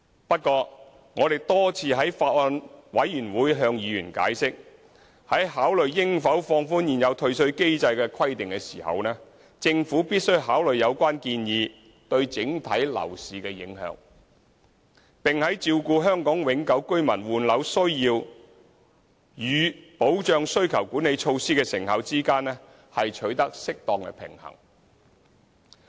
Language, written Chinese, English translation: Cantonese, 不過，我們多次在法案委員會向委員解釋，在考慮應否放寬現有退稅機制的規定時，政府必須考慮有關建議對整體樓市的影響，並在照顧香港永久性居民換樓需要與保障需求管理措施的成效之間取得適當平衡。, Nevertheless as we have explained to members of the Bills Committee many times in considering whether certain requirements under the existing refund mechanism should be relaxed the Government has to take into account impacts of such suggestions on the property market as a whole and to strike a right balance between taking care of the needs of HKPRs in replacing their properties and safeguarding the effectiveness of the demand - side management measures